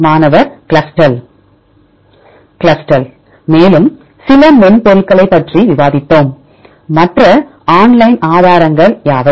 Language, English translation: Tamil, Clustal also we discussed few more software, what are the other online resources